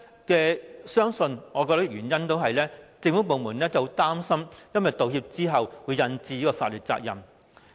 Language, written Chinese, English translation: Cantonese, 我相信背後原因是政府部門擔心在道歉後會引致法律責任。, I think the underlying reason for this must be the Governments worry that offering an apology will lead to legal liabilities